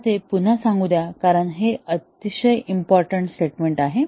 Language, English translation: Marathi, Let me repeat that because this is a very important statement